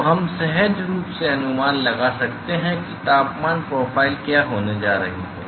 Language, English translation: Hindi, So, we can intuitively guess what is going to be the temperature profile